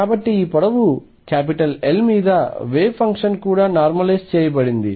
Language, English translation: Telugu, So, the wave function is also normalized over this length L